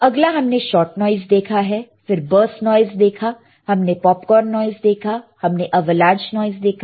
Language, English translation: Hindi, And next we have seen shot noise, we have seen the burst noise, we have seen the popcorn noise, we have seen the avalanche noise right